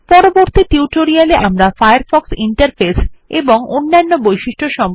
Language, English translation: Bengali, In future tutorials, we will learn more about the Firefox interface and various other features